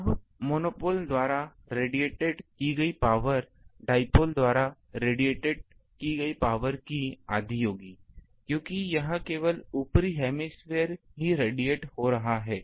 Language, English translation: Hindi, Now, total power radiated by monopole will be half of the power radiated by dipole, because the only the upper hemisphere here is radiating